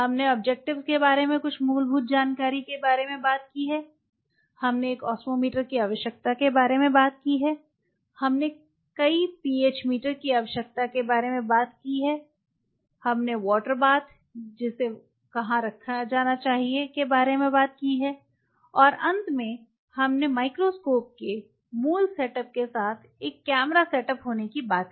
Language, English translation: Hindi, So, let us recollect what all we have talked today we have talked about the some of the fundamental information about the objectives, we have talked about the need for an Osmometer, we have talked about the need for multiple PH meters, we have talked about water baths which has to be kept there and in the end we talked about to have a camera setup along with the basic set up of the microscope